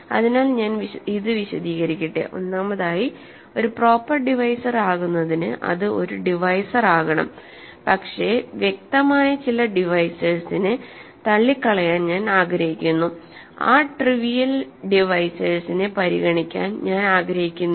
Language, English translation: Malayalam, So, let me explain this, first of all in order for a proper divisor in order to be a proper divisor, it must be a divisor, but I want to rule out certain obvious divisors, I do not want to consider those trivial divisors